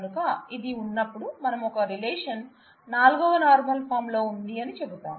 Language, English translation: Telugu, So, when we have this, we say we are a relation would be in the in the 4th normal form